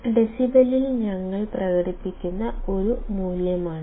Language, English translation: Malayalam, This is a value that we express in decibels